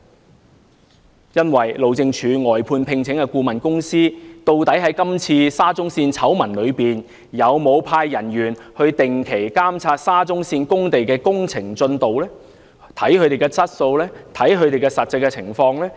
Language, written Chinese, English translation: Cantonese, 在今次沙中線醜聞中，路政署聘請的外判顧問公司究竟有否派員定期監察沙中線工地的工程進度、質素及實際情況？, In this SCL scandal has the consultancy commissioned by HyD regularly sent its staff to monitor the works progress on the SCL sites and examine the quality or actual situation of the works?